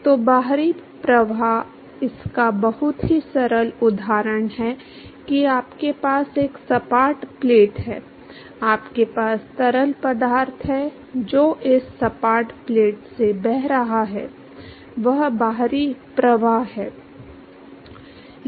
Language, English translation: Hindi, So, external flow very simple example of that is you have a flat plate, in you have fluid which is flowing past this flat plate, that is an external flow